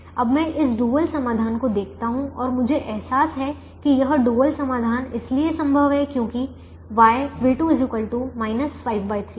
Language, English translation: Hindi, now i look at this dual solution and i realize that this dual solution is infeasible because y v two is equal to minus five by three